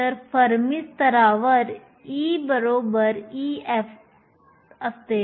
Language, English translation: Marathi, So, At the fermi level e is equal to e f